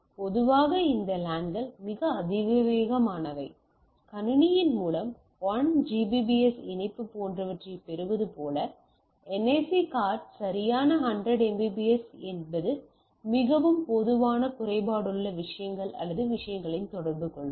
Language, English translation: Tamil, Typically what we say this LANs are pretty high speed thing, like you get a backbone of a connectivity of 1 Gbps connection etcetera through your system provided your NIC card supports that right 100 Mbps is very common is the defecto things or communicating in the things